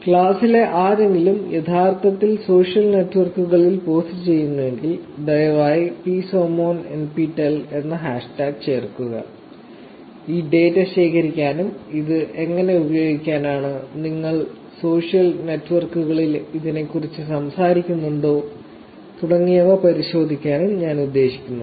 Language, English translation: Malayalam, In case, if anybody in the class is actually posting on social networks, please add hashtag psosmonptel, I actually plan to collect this data and look at this data, how it is being used, if at all you are talking about it on social networks